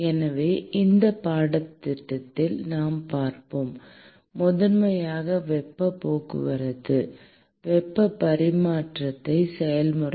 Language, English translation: Tamil, And so, we will see in this course the primarily the heat transport, heat transfer process